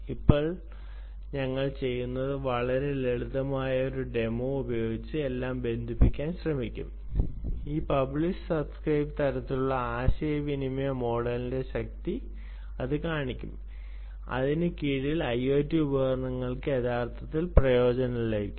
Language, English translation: Malayalam, now what we will do is we will try to connect everything with a very simple demonstration, ah i, which basically, we will show you the power of this published, subscribe ah kind of paradigm communication model under which ah i o t devices can actually benefit from ok